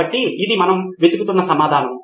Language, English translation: Telugu, So this is the answer we were looking for